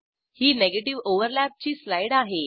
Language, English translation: Marathi, Here is a slide for negative overlaps